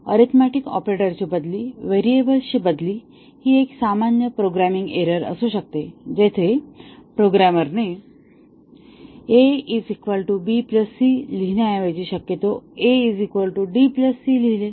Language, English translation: Marathi, Replacement of arithmetic operators, replacement of a variable, this is also a common programming error where a programmer instead of writing a is equal to b plus c possibly wrote a is equal to d plus c